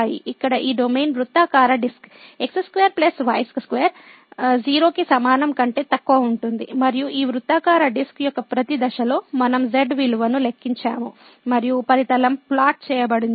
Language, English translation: Telugu, So, this domain here which is the circular disc square plus square less than equal to 0 and at each point of this circular disc, we have computed the value of and the surface is plotted